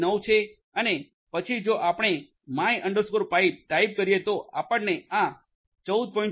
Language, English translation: Gujarati, 14159 and then if you type in type of my pi you get this 14